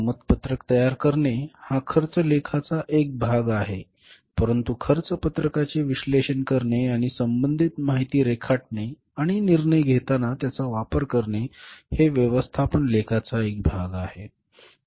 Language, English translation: Marathi, Preparation of the cost sheet is the part of cost accounting but analyzing the cost sheet and drawing the relevant information useful information and using it in the decision making is the part of the management accounting